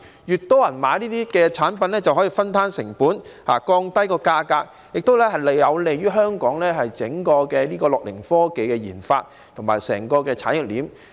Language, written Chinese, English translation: Cantonese, 越多人購買這類產品，就可以分攤成本，降低價格，亦有利於香港樂齡科技的研發及整個產業鏈。, If more people purchase this kind of products the costs can be shared and thus drive the prices down . This is also favourable to the research and development of gerontechnology and the entire industry chain in Hong Kong